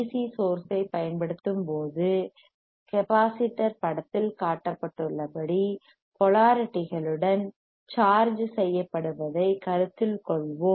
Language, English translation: Tamil, So, initially, let us consider that the when we apply the DC source, the capacitor is charged with polarities as shown in figure